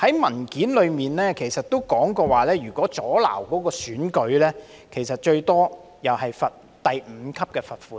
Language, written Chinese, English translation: Cantonese, 文件中提到，如果阻撓選舉，最多也只會被處第5級罰款。, As stated in the paper if one interferes with an election he will be imposed a fine not exceeding level 5